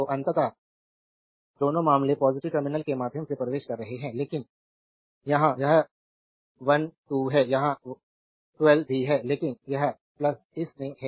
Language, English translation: Hindi, So, ultimately both the cases current entering through the positive terminal, but here it is 1 2 here also 1 2, but this has been in plus this has been in minus